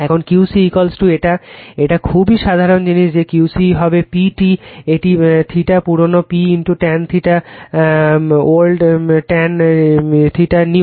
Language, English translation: Bengali, Now, Q c is equal to this one , this one is a very simple thing , that Q c will be P tan theta old a P into tan theta old minus tan theta new